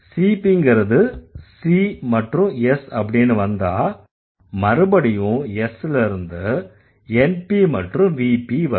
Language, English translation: Tamil, So, once you have CP goes to C and S, again, S goes to NPVP, right